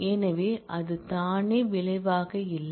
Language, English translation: Tamil, So, it by itself is not the result